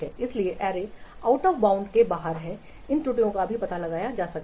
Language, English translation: Hindi, So, array indices which are out of bounds, these errors also can be detected